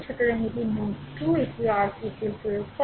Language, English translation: Bengali, So, this is node 2 also you apply your KCL right